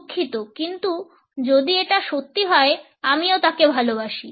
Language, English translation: Bengali, Sorry, but if it is true I love him too